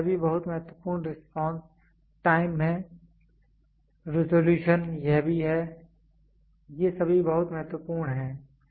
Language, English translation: Hindi, So, this is also very important respond time, resolution this is also these are all very important